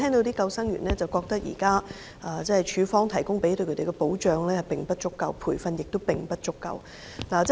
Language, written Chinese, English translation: Cantonese, 不過，救生員卻認為署方為他們提供的保障及培訓並不足夠。, Nonetheless lifeguards consider that the protection and training provided by LCSD are far from adequate